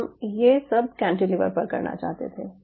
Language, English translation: Hindi, we wanted to do this on top of a cantilever